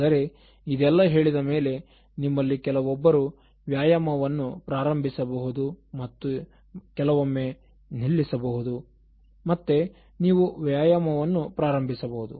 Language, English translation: Kannada, But having said this, so some of you may start and then again occasionally you may discontinue exercise and then you prolong resuming that